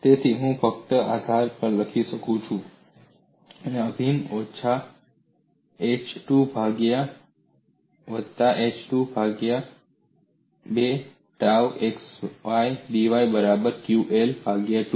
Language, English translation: Gujarati, So I can only write on this edge, integral minus h by 2, to plus h by 2, tau xydy, equal to, qL by 2